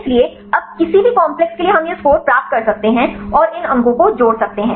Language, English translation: Hindi, So, now for any complex we can say get this score and add up these scores